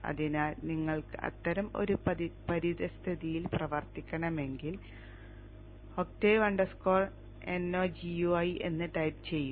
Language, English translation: Malayalam, So if you want to work in such an environment which I also prefer you type Octave dash dash no GUI